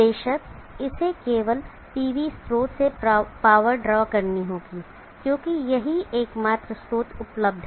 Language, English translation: Hindi, Of course it has to draw the power from the PV source only, because that is the only source available